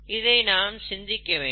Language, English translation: Tamil, And think about that